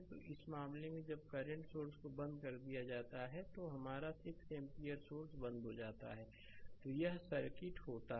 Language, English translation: Hindi, So, in this case when current source is turned off that is your 6 ampere source is turned off then this is the circuit